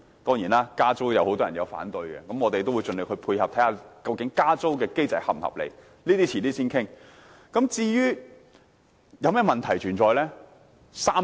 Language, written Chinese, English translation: Cantonese, 當然，加租會有很多人反對，我們會盡力配合，研究加租機制是否合理，這些問題將來再討論。, Certainly any rent increase will be met with opposition yet we will do our best to cooperate and examine whether or not the rent increase mechanism is reasonable . We may discuss these issues in the future